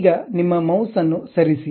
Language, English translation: Kannada, Now, release your mouse button